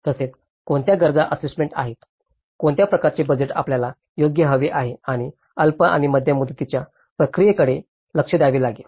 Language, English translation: Marathi, And also, what are the needs assessment, what kind of budget you need right and one has to look at the short and medium term process